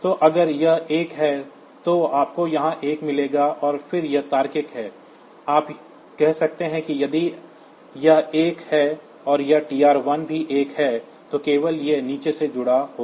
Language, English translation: Hindi, So, if it is 1 then you will get a 1 here and then this logical, you can say that if this this is 1 and this TR 1 is also 1 then only